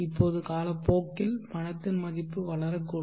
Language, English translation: Tamil, Now with time the value of the money can grow